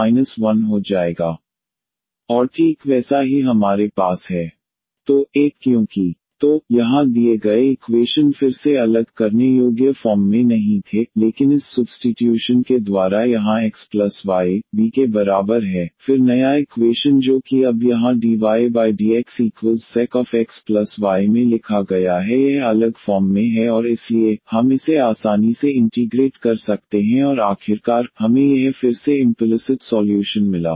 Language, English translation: Hindi, So, here the given equation again was not in separable form, but by doing this substitution this here x plus y is equal to v this one, then the new equation which is written now in v here dv over dx is equal to sec v plus 1 this is in separable form and therefore, we could integrate this easily and finally, we got this again implicit solution